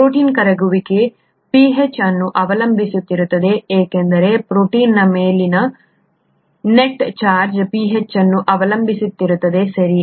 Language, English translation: Kannada, The protein solubility is pH dependent because the net charge on the protein is pH dependent, right